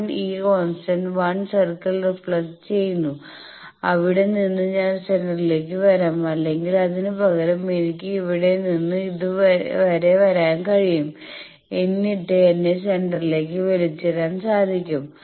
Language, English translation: Malayalam, I will touch that 1 plus j b that circle it is reflected 1 this constant 1 circle and from there I will come to the centre or I can instead of that, I can also from here come like here up to this and then I can be pulled to the centre